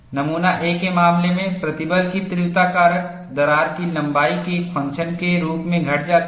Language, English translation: Hindi, In the case of specimen A, stress intensity factor decreases as the function of crack length